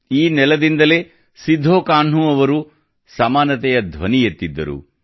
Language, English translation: Kannada, From this very land Sidhho Kanhu raised the voice for equality